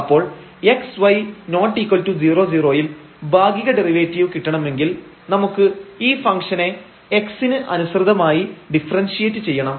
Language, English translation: Malayalam, So, to get the partial derivative at x y with not equal to 0 0 we have to differentiate this function with respect to x